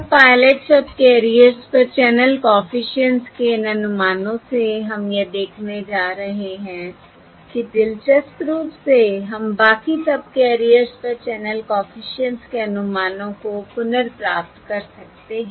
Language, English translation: Hindi, And from these estimates of the channel coefficients on the pilot subcarriers, you will, we are going to see that, interestingly, we can recover the estimates of the channel coefficients on the rest of the subcarriers